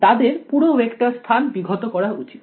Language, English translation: Bengali, They should span the whole vector space right